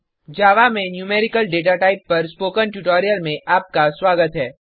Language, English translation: Hindi, Welcome to the spoken tutorial on Numerical Datatypes in Java